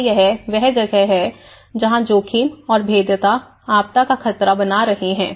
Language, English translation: Hindi, So that is where the hazard plus vulnerability is going to disaster risk